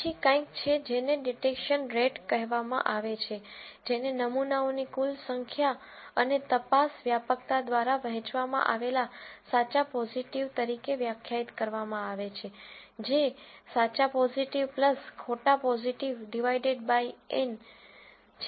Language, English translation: Gujarati, Then there is something called a detection rate, which is defined as true positives divided by total number of samples and detection prevalence, which is true positive plus false positive divided by N